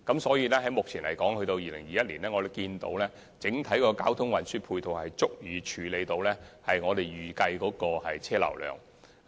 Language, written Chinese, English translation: Cantonese, 所以，按目前估算，直至2021年，整體交通運輸配套已足以處理我們預計的車流量。, Thus according to our current estimation the overall ancillary transport services will be able to meet the needs of the projected traffic volume up until 2021